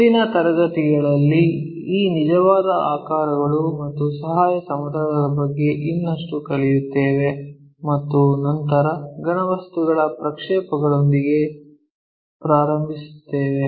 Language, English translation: Kannada, So, in the next class, we will learn more about these true shapes and auxiliary planes and then, begin with projection of solids